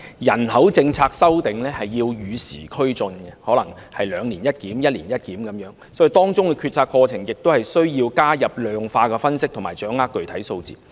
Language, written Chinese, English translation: Cantonese, 人口政策修訂要與時俱進，可能需要"兩年一檢"或"一年一檢"，所以當中的決策過程亦需要加入量化分析，以及掌握具體數字。, We should keep pace with time and revise the population policy on an ongoing basis and a review may need to be made once every two years or once every year . Hence quantitative analyses will have to be included also during the decision - making process so as to acquire the specific data needed